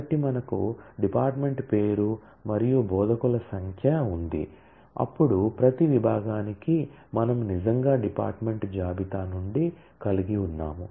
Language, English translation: Telugu, So, we have department name and the number of instructor, then for each and every department; that we actually have from the department list